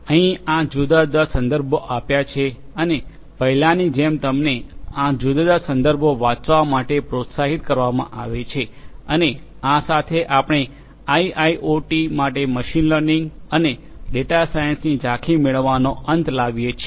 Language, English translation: Gujarati, Here are these different references like before you are encouraged to go through these different references and with this we come to an end of the getting an overview of machine learning and data science for IIoT